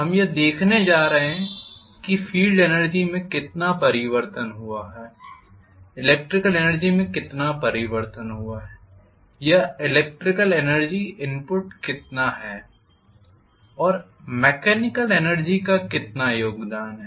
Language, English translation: Hindi, We are going to look at how much is the change in field energy, how much is the change in the electrical energy or how much is the electrical energy input, and how much is the mechanical energy contribution